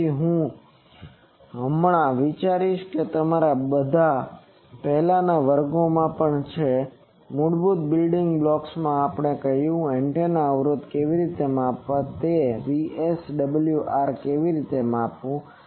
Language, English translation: Gujarati, So, I will just I think all of you we have in earlier classes also, in the basic building blocks we have said how to measure VSWR by this what how to measure impedance of an antenna